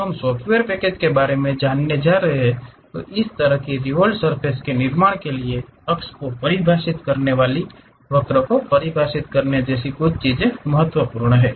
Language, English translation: Hindi, When we are going to learn about this software package some of the things like defining an axis defining curve is important to construct such kind of revolved surfaces